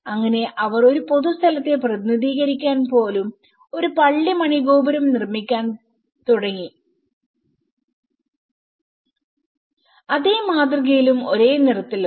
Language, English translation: Malayalam, So, they started building a church bell tower to represent a public place and in the same pattern and the same colour